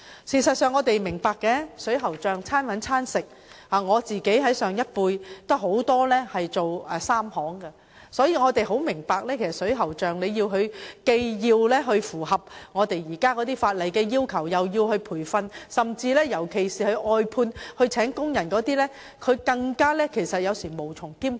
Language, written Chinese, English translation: Cantonese, 事實上，我們也明白水喉匠"手停口停"，我本身也有很多從事這行業的長輩，所以也明白水喉匠如既要符合現行法例的要求，又要接受培訓，這對尤其是聘有工人的外判水喉匠而言，實在是無從兼顧。, In fact we understand that plumbers are living from hand to mouth and as many elder members of my family are engaging in plumbing works I also understand that if plumbers are expected to meet the requirements under the existing legislation and receive training at the same time they will have difficulties in handling both tasks concurrently especially for plumbers who have a number of hired workers to help them provide outsourced services